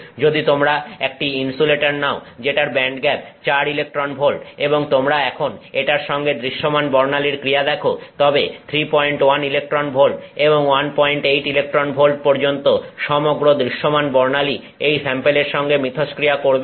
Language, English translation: Bengali, If you take an insulator which has a band gap of 4 electron volts and you now look at the visible spectrums interaction with it then the entire visible spectrum from 3